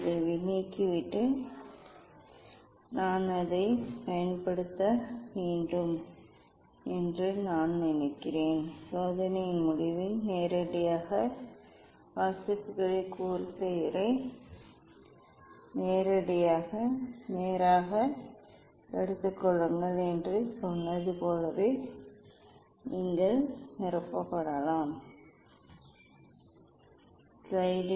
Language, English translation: Tamil, Now, you should remove this one and take the direct reading I think I have to use it, at the end of the experiment as I told you take the direct readings set corsair at the direct one yes and you can fill up this one; this one